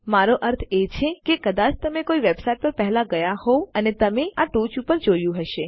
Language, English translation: Gujarati, I mean you have probably been in a website before and you have seen this at the top